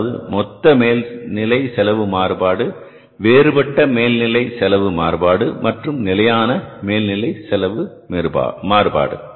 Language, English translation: Tamil, That is the total overhead cost variance, then the variable overhead variance and the fixed overhead cost variance